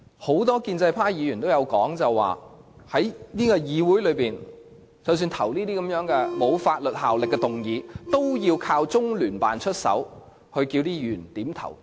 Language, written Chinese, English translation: Cantonese, 很多建制派議員也說過，即使是議會內所提出沒有法律約束力的議案，都要中聯辦出手要求議員點頭。, As many Members of the pro - establishment camp have said LOCPG has even intervened in non - legally - binding motions proposed in the Legislative Council by asking Members to endorse them